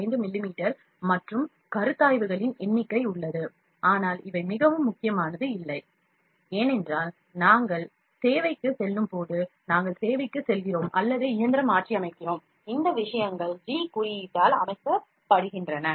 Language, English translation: Tamil, 5 mm and number of considerations are there, but these are not very important, because when we are going to servicing, we are go to service or overhauling the machine, these things are set by the G code